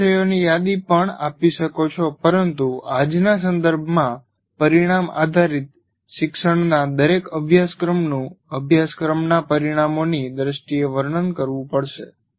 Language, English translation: Gujarati, You may also give a list of topics, but in today's context of outcome based education, every course will have to be described in terms of course outcomes